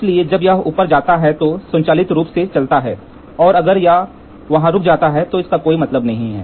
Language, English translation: Hindi, So, when it moves automatically if it goes if it goes up and if it stands there then it is of no meaning